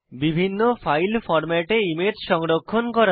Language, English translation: Bengali, Save the image in various file formats